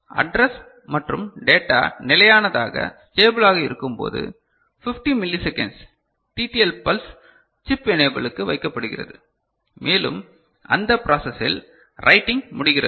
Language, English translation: Tamil, And when address and data are stable, 50 millisecond TTL pulse is placed to chip enable alright and by that process writing gets done